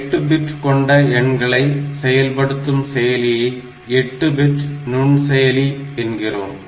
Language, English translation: Tamil, So, when I say a microprocessor is an 8 bit microprocessor